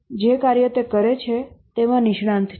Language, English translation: Gujarati, The work that he does, he is the expert